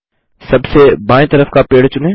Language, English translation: Hindi, Let us select the left most tree